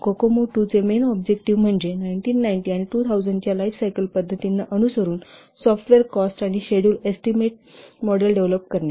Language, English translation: Marathi, The main objective of Kokomo 2 is to develop a software cost and schedule estimation model which is tuned to the lifecycle practices of 1990s and 2000s